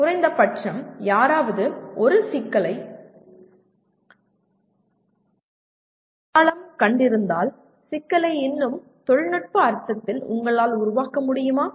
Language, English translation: Tamil, Or having identified or at least if somebody has identified a problem, can you formulate the problem in a more technical sense